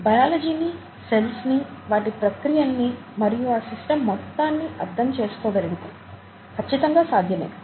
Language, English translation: Telugu, Through a better understanding of biology, the cell, it's processes, the systems as a whole, certainly yes